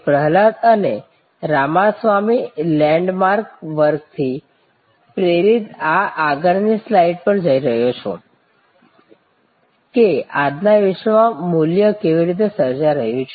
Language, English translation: Gujarati, Prahalad and Ramaswamy land mark work, that how in today's world value is getting created